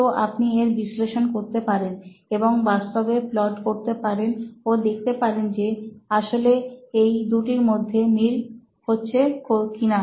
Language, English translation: Bengali, So you can be analytical about this and actually do a plot and see if it actually matches up